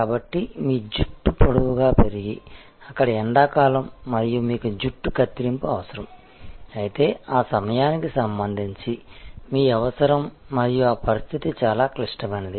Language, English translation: Telugu, So, if your hair has grown long and there it is high summer and you need a haircut, then your need with respect to that time and that situation is critical